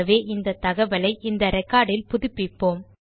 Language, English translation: Tamil, So let us, update this information into this record